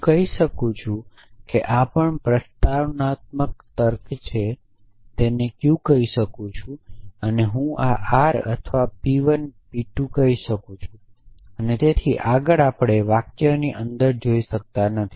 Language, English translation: Gujarati, I can say all men are mortal this is also in propositional logic it just some sentence I can simply call it q and I can simply call this r or p 1 p 2 and so on and so far that the we cannot look inside sentences